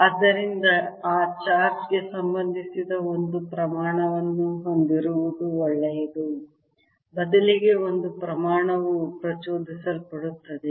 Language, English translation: Kannada, so it is good to have a quantity that is related to that charge, rather a quantity which is induced